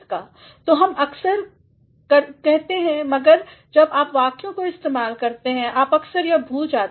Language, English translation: Hindi, So, we often say love at first sight, but when you are using sentences you often forget that